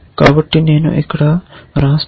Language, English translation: Telugu, So, let me write this here